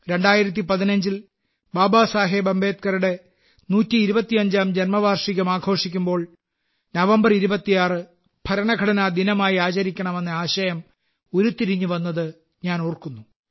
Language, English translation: Malayalam, I remember… in the year 2015, when we were celebrating the 125th birth anniversary of BabasahebAmbedkar, a thought had struck the mind to observe the 26th of November as Constitution Day